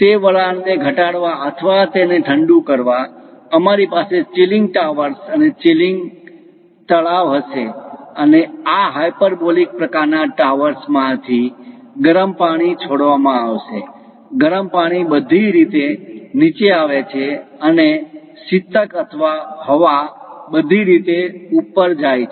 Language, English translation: Gujarati, To condense that steam or to cool that, we will have chilling towers and chilling ponds; and hot water will be dripped from these hyperbolic kind of towers, the hot water comes down all the way and coolant or air goes all the way up